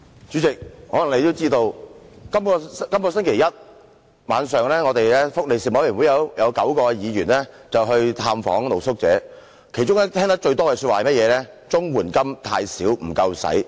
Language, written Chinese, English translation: Cantonese, 主席，可能你也知道，本星期一晚上福利事務委員會有9位議員去了探訪露宿者，其中聽得最多的說話是綜援金太少，不敷應用。, President as you may know nine members of the Panel on Welfare Services visited street sleepers this Monday night . What we heard most frequently was that CSSA payments are too low and insufficient